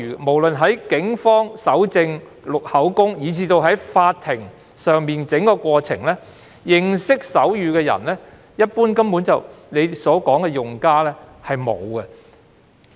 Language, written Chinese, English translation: Cantonese, 不論在警方搜證、錄取口供，以至法庭審訊的整個過程中，司長所說的用家中，一般來說沒有人懂得手語。, During the processes of evidence collection and statement taking by the Police as well as the trial at court the users mentioned by the Chief Secretary generally fail to understand sign language